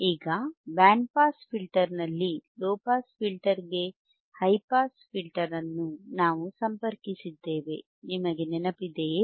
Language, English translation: Kannada, Now, in the band pass filter, we had high pass band pass band pass filters